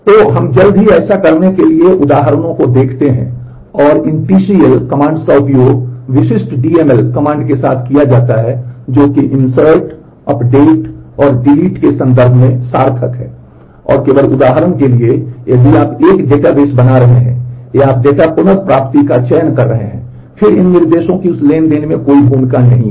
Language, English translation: Hindi, So, let us look at examples for doing that soon and these TCL commands are used with specific DML commands they are meaningful in terms of insert update and delete only for example, if you are creating a database or you are doing a select to data retrieval, then these instructions have no role in those transactions